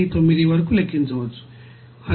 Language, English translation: Telugu, 019 that will come 3